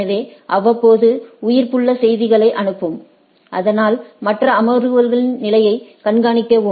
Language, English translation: Tamil, So, periodically send that keep alive messages, so that monitor the state of the other sessions like